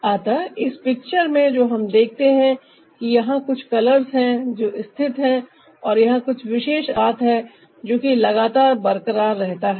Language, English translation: Hindi, so in this picture what we see is that there are quite a few colors that are placed and there's a particular ratio that is maintained throughout